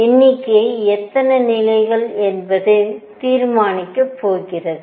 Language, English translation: Tamil, Number is going to be decided by how many levels are there